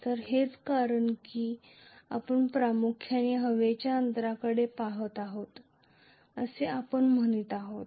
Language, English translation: Marathi, So, that is the reason why we are saying we are mainly looking at the air gap